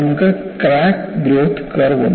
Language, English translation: Malayalam, And you have the crack growth curve